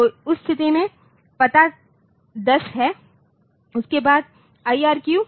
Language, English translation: Hindi, So, in that case the address is 1 0 and then IRQ